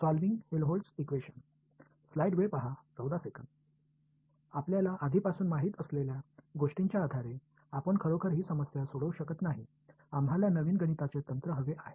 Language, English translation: Marathi, Now, turns out based on what we already know, we actually cant solve this problem; we need a new mathematical technique